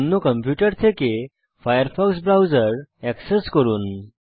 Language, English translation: Bengali, Access your firefox browser from another computer